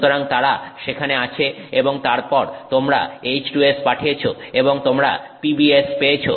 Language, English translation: Bengali, So, they are present there and then you send this H2S and you get PBS